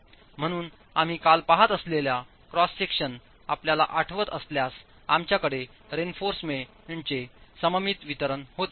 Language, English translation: Marathi, So if you remember the cross section that we were looking at yesterday, we had a symmetrical distribution of reinforcement